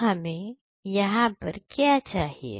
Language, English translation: Hindi, So, this is what is required